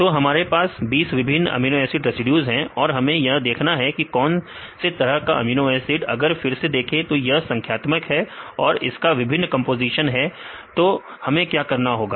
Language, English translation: Hindi, So, we have 20 different amino acid residues and we have to say what the type of the amino acid again this is a numeric and this is the different composition then we what we have to do